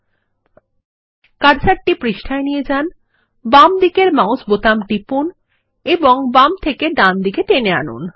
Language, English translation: Bengali, Move the cursor to the page, press the left mouse button and drag from left to right